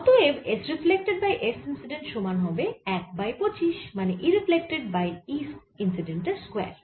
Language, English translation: Bengali, so s reflected divided by s incident is going to be e reflected over e incident square